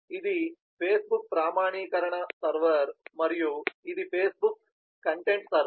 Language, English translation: Telugu, this is facebook authentication server and this is the facebook content server